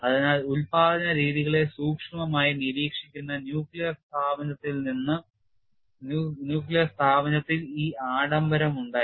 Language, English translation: Malayalam, So, this luxury was there in nuclear establishment where there is close monitoring of production methods